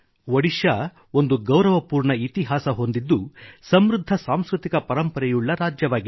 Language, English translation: Kannada, Odisha has a dignified historical background and has a very rich cultural tradition